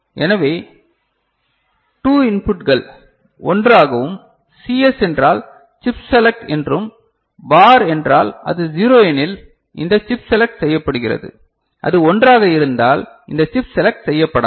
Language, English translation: Tamil, So, then 2 inputs are clubbed into 1 and CS means chip select, bar means if it is 0, this chip is selected and if it is 1 then this chip is not selected, is it clear